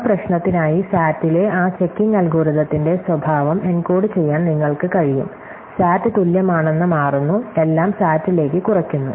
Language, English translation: Malayalam, So, you can encode the behavior of that checking algorithm for that problem in SAT and therefore, it turns out that SAT is equivalent are everything reduces to SAT